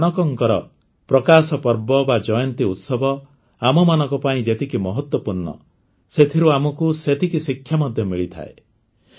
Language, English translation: Odia, As much as the Prakash Parv of Guru Nanak ji is important for our faith, we equally get to learn from it